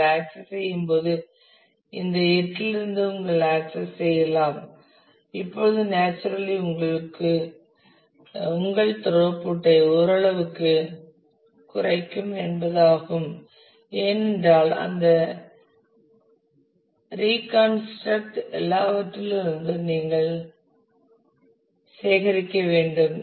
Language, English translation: Tamil, And when you access you can access from all these 8; now naturally which means that this will decrease your throughput to some extent, because you have to collect from all of that reconstruct